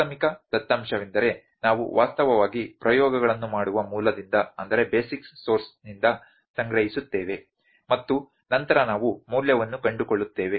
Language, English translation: Kannada, Primary data is that we collect from the basic source from the actually we do the experiments and then we find the value